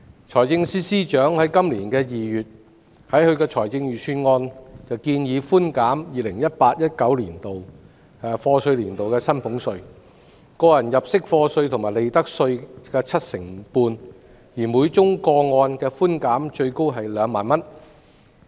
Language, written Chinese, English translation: Cantonese, 財政司司長在今年2月的財政預算案建議寬減 2018-2019 課稅年度的薪俸稅、個人入息課稅及利得稅 75%， 每宗個案的寬減額最高為2萬元。, In February this year the Financial Secretary proposed in the Budget reductions of salaries tax tax under personal assessment PA and profits tax for year of assessment YA 2018 - 2019 by 75 % subject to a ceiling of 20,000 per case